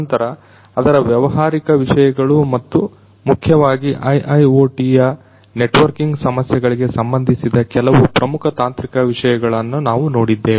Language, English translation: Kannada, Thereafter we looked into the business aspects of it and also some of the very important technological aspects particularly concerning the networking issues in IIoT